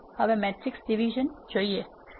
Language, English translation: Gujarati, Now, let us look at matrix division